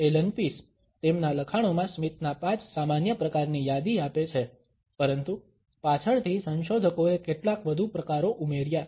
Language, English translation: Gujarati, Allan Pease, in his writings has listed 5 common types of a smiles, but later on researchers added some more types